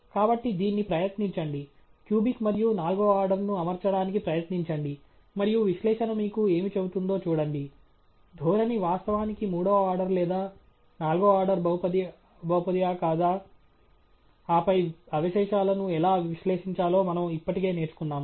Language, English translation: Telugu, So, try it out, try fitting the cubic one and the fourth order one, and see what the analysis tells you whether the trend is indeed a third order or a fourth order polynomial, and then we have already learnt how to analyse the residuals, extract